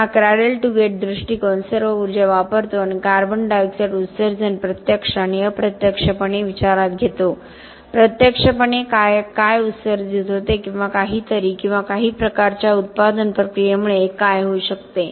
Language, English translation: Marathi, So, this cradle to gate approach takes into account all energy consumed and CO2 emissions direct and indirect, what is directly emitted or what could be due to extraction of something or some sort of a manufacturing process